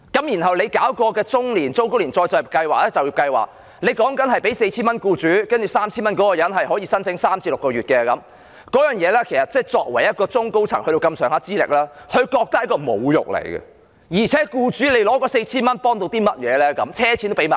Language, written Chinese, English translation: Cantonese, 然後，政府推行中高齡就業計劃，向僱主支付 4,000 元，申請人則有 3,000 元，可以申請3至6個月，這對於具備不錯資歷的中高層人員來說，他們會覺得是一種侮辱，而且僱主得到的 4,000 元又有甚麼幫助呢？, Then the Government introduced the Employment Programme for the Elderly and Middle - aged under which employers can receive 4,000 and the applicant can have 3,000 for a period of three to six months . To people with good qualifications who used to work at middle and senior levels this is an insult and besides what help can the 4,000 render the employers?